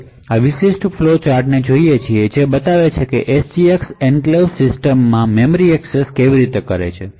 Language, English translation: Gujarati, So, we look at this particular flow chart which shows how memory accesses are done in an SGX enclave system